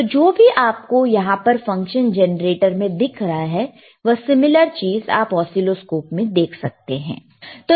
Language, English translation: Hindi, So now, whatever is showing here on the function generator, you can also see similar thing on the oscilloscope